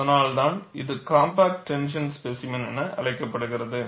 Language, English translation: Tamil, That is why it is called as compact tension specimen